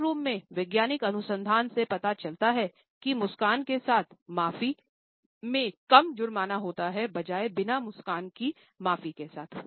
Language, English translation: Hindi, Scientific research in courtrooms shows whether an apology of a with smile encores a lesser penalty with an apology without one